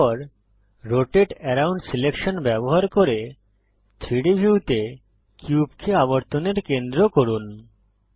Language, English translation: Bengali, Then, using Rotate around selection, make the cube the centre of rotation in the 3D view